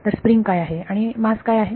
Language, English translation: Marathi, So, what is the spring and what is the mass